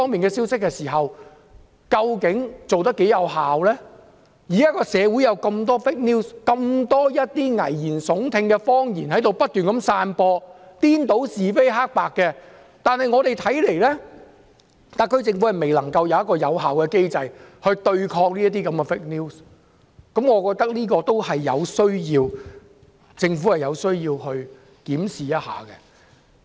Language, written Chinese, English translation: Cantonese, 現時有這麼多虛假新聞，這麼多危言聳聽的謊言正在不斷散播，顛倒是非黑白，但特區政府卻未有有效的機制來對抗虛假新聞，我認為政府有需要檢視一下。, Given the numerous fake news and alarming lies right and wrong has been reversed yet the SAR Government does not have an effective mechanism against fake news . I think the Government has to review the situation